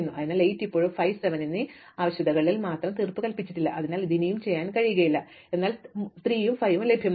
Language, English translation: Malayalam, So, notice that 8 still has two pending requirements namely 5 and 7, so it cannot be done yet, but 3 and 5 are available